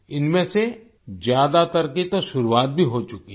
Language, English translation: Hindi, Most of these have already started